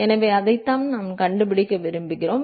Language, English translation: Tamil, So, that is what we want to find